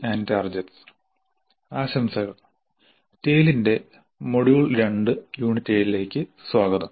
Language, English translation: Malayalam, Greetings, welcome to module 2, Unit 7 of Tale